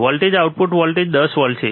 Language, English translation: Gujarati, Voltage output voltage is 10 volts